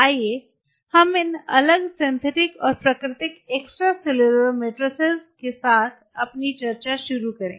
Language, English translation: Hindi, Let us start our discussion with this different synthetic and natural extracellular matrix